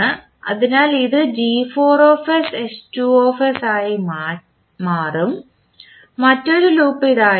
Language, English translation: Malayalam, Similarly, we can find other loops also, one such loop is this one